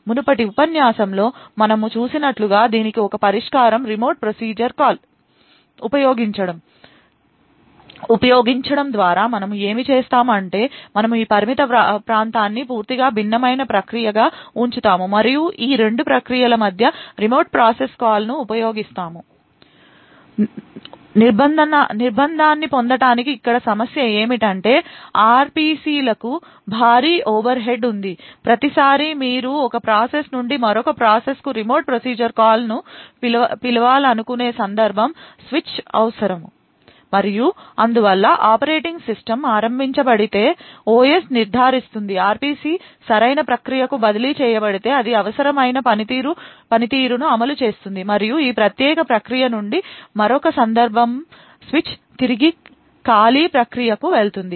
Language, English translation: Telugu, So one solution for this as we have seen in the previous lecture what OKWS did was by using remote procedure calls what we would do is we would keep this confined area as a totally different process and then we would use remote procedure calls between these two processes to obtain the confinement however the problem over here is that RPCs have a huge overhead, every time you want to invoke a remote procedure call from one process to another process there is a context switch required and therefore the operating system gets invoked the OS would ensure that the RPC is transferred to the right process the process would execute it is required function and then there is another context switch from this particular process back to the callee process